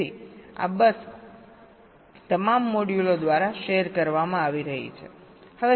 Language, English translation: Gujarati, so this bus is being shared by all the modules